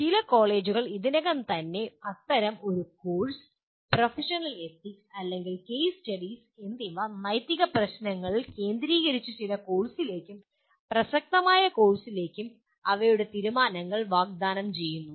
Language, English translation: Malayalam, Some colleges already offer such a course, professional ethics and or case studies with focus on ethical issues and their resolutions into in some courses, relevant courses